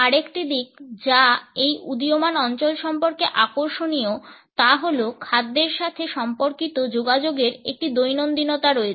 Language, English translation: Bengali, Another aspect which is interesting about this emerging area is that the communication related with food has an everydayness